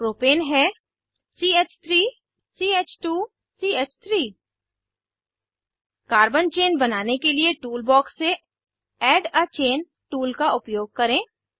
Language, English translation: Hindi, Propane is CH3 CH2 CH3 Lets use Add a Chain tool from Tool box to draw a Carbon chain